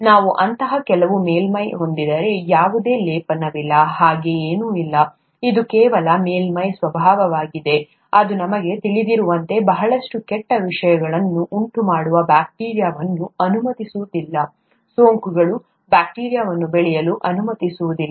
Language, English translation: Kannada, If we have some such surface, there is no coating, nothing like that, it's just the nature of the surface, that does not allow bacteria which causes a lot of bad things as we know, infections, that does not allow bacteria to grow on it's surface